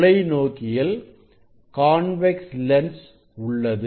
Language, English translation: Tamil, we will use telescope have convex lens